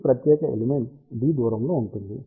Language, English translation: Telugu, This particular element is at a distance of d